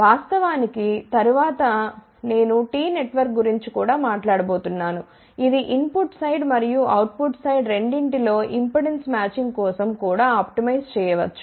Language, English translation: Telugu, In fact, later on I am also going to talk about a T network, which also can be optimized for impedance matching at both input side as well as output side